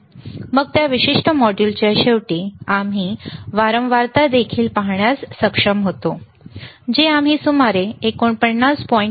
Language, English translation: Marathi, Then at the end of that particular module, we were also able to see the frequency, which we were able to measure around 49